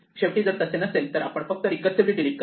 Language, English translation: Marathi, Finally, we can come down to the recursive delete